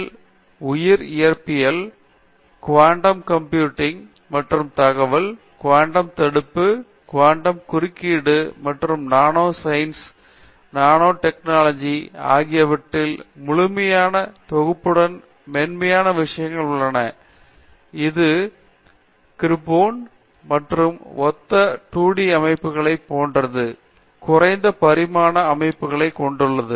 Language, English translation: Tamil, And, we have soft condensed matter on bio physics and quantum computation and information, quantum confinement, quantum interference and the entire set of nanoscience and nanotechnology and this involves low dimensional systems like graphene and similar 2D systems